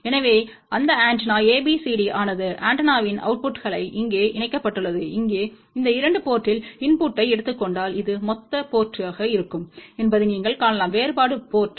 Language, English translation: Tamil, So, that antenna ABCD are connected over here the outputs of the antenna, and here you can see that if you take input at these 2 port, this will be the sum port this will be the difference port